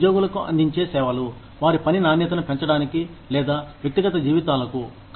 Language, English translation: Telugu, These are services provided to employees, to enhance the quality of their work, or personal lives